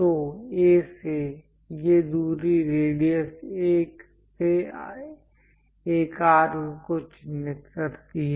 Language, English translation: Hindi, So, from A; picking these distance radius mark an arc from A